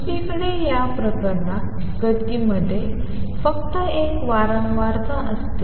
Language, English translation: Marathi, On the other hand in this case the motion contains only one frequency